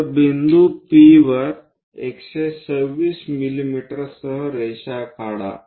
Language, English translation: Marathi, So, draw a line at point P with 126 mm